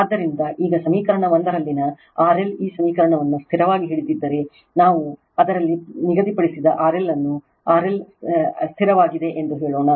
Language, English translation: Kannada, So, now if R L in equation 1 this equation is held fixed, suppose R L we have fixed in it say R L is held fixed